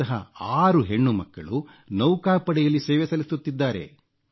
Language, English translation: Kannada, Six of these young daughters are in the Navy